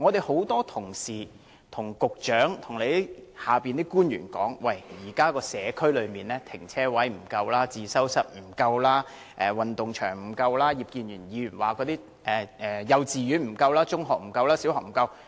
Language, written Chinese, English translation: Cantonese, 很多同事向局長和其轄下官員表示，現時社區內停車位、自修室、運動場不足，而葉建源議員則表示幼稚園、小學、中學均不足。, Many Members have told the Secretary and the officials under him that parking spaces study rooms and sports grounds are inadequate in the communities and Mr IP Kin - yuen also said that kindergartens primary schools and secondary schools were inadequate as well